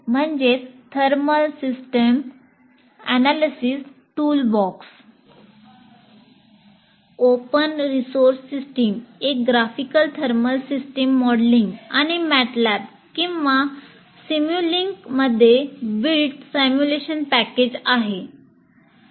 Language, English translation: Marathi, T SAT thermal systems analysis toolbox, an open source system is a graphical thermal system modeling and simulation package built in MATLAB or simulink